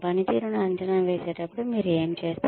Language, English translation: Telugu, What do you do, when appraising performance